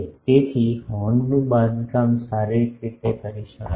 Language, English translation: Gujarati, So, the horn can be constructed physically